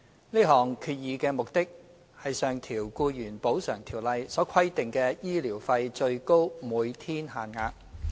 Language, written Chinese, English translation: Cantonese, 這項決議的目的是上調《僱員補償條例》所規定的醫療費最高每天限額。, The purpose of this resolution is to increase the maximum daily rates of medical expenses under the Employees Compensation Ordinance